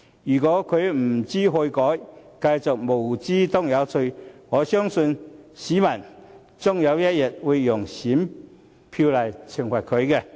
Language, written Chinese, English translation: Cantonese, 如果他不知悔改，繼續"無知當有趣"，我相信市民終有一天會用選票懲罰他。, If he hardly knows how to repent and continues to act naively as if such behaviour is fun I believe people will eventually use their ballots to punish him